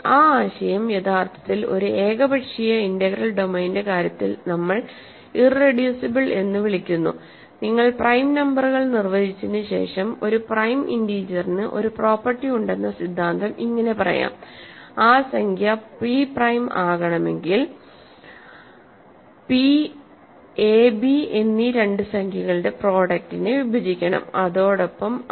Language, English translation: Malayalam, That notion is actually what we are calling irreducible in the case of an arbitrary integral domain, but you also do after defining prime numbers, the theorem that a prime integer has a property that if that integer p is prime if and only if p divides a product of two integers a and b then it must divide one of them